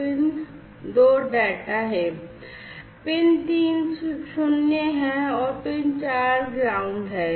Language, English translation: Hindi, Then PIN 2 is the data, PIN 3 is the null, and PIN 4 is the ground